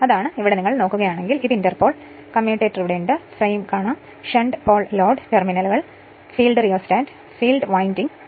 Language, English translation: Malayalam, So, here your if you if you look into that that this is your what you call this is your inter pole is there, commutator is there, this is the frame and this is the shunt pole load terminals, field rheostat, field winding right